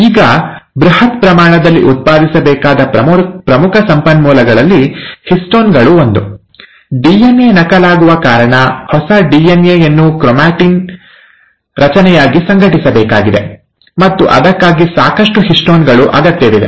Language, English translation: Kannada, Now one of the major resources which have to be generated in bulk quantity are the histones, because of the DNA is going to get duplicated, the new DNA has to be organized as a chromatin structure, and for that, lots of histones are required